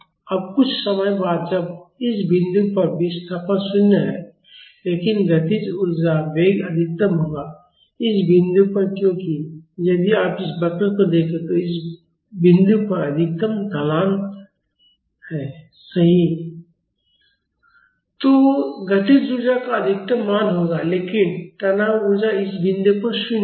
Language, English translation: Hindi, Now after some time, when at this point the displacement is 0, but the kinetic energy the velocity will be maximum, at this point because if you look at this curve this point will have the maximum slope, right